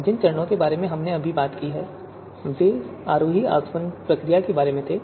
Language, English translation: Hindi, So you know so the steps that we just talked about were about descending distillation procedure